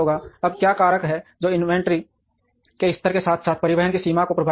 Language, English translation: Hindi, Now, what are the factors that would affect the level of inventory as well as the extent of transportation